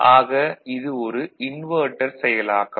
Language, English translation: Tamil, So, that is also giving you an inversion